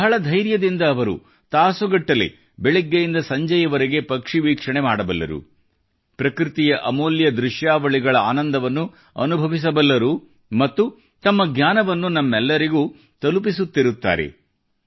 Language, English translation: Kannada, With utmost patience, for hours together from morn to dusk, they can do bird watching, enjoying the scenic beauty of nature; they also keep passing on the knowledge gained to us